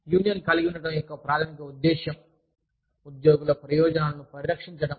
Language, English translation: Telugu, Since, the primary purpose of having a union, is to protect, the interests of the employees